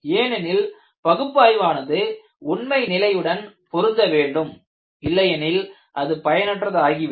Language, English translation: Tamil, Because analytical development should match with actual observation; otherwise the analytical development is useless